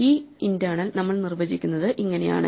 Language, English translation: Malayalam, This is how we define these internal